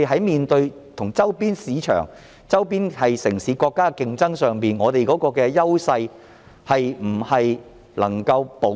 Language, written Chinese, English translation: Cantonese, 面對與周邊市場、城市及國家的競爭時，香港的優勢是否能夠保持？, In the face of competition from our nearby markets cities and countries will Hong Kong be able to maintain its edge?